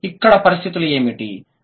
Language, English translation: Telugu, And what are the conditions